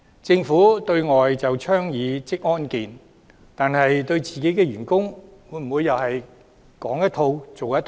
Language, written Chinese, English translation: Cantonese, 政府對外倡議職業安全健康，但對自己的員工會否又是說一套、做一套？, The Government advocates occupational safety and health in society but is it not practising what it preaches for their own employees?